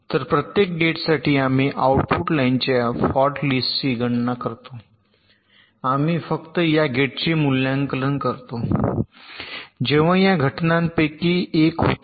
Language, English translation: Marathi, so for every gate we compute the fault list of the output line and we evaluate this gate only when one of the following this events occur